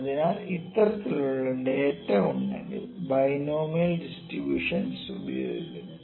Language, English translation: Malayalam, So, this can be like if this kind of data is there binomial distribution is used, ok